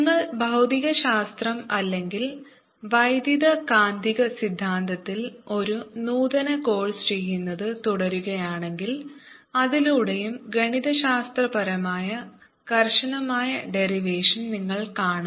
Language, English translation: Malayalam, if you continue doing physics or an advanced course in electromagnetic theory, you will see a mathematical radiate derivation of this through potential